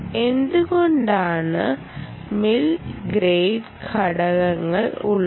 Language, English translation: Malayalam, why are mill grade components there